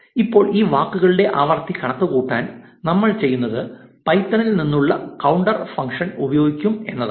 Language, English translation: Malayalam, Now, to calculate the frequency of these words, what we will do is we will use the counter function from python